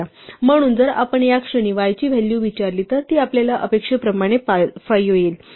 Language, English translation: Marathi, So, if we ask for the value of y at this point it is 5 as we expect